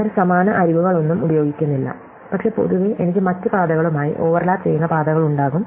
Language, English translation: Malayalam, They do not use any of the same edges, but in general, I could have paths which overlap with the other ones